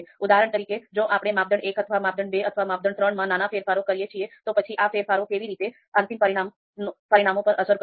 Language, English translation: Gujarati, So if we do small changes in criteria one, if we do small changes in criteria two, and if we do small changes in criteria three, how these changes are going to impact the final results